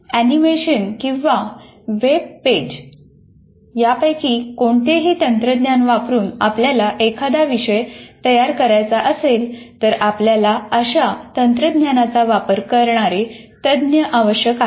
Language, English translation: Marathi, If you want to create using any of the technology in terms of their animations or web pages, anything that you want to do, you require a, some people who are specialists in using those technologies